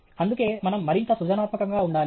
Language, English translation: Telugu, That’s why we need to be more creative